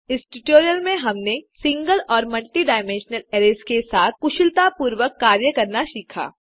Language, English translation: Hindi, In this tutorial, we have learnt to,Manipulate single amp multi dimensional arrays